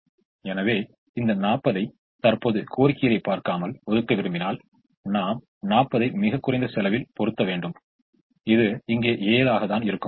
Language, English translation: Tamil, so if we want to allocate this forty without at present looking at the demands, we would ideally put all the forty to its least cost position, which happens to be seven, which happens to be here